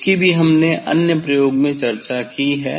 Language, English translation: Hindi, that also we have discuss for other experiment